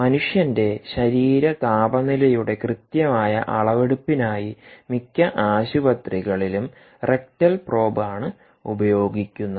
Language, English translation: Malayalam, rectal probe is actually used in most of the hospitals for exact measurement of core body temperature of the human being